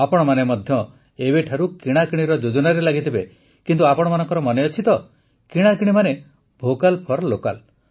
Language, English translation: Odia, All of you must have started planning for shopping from now on, but do you remember, shopping means 'VOCAL FOR LOCAL'